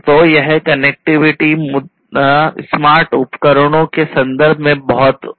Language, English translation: Hindi, So, this connectivity issue is very vital in the context of smart devices